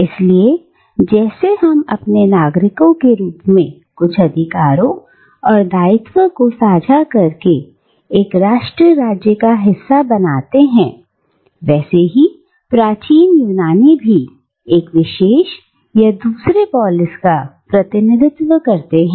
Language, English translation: Hindi, So, just like we form part of a nation state, by sharing certain rights and obligations as its citizens, ancient Greeks too, just like this, belonged to one particular polis or another